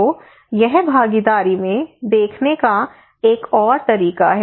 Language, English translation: Hindi, So this is another way of looking into the participations